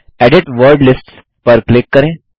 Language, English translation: Hindi, Click Edit Word Lists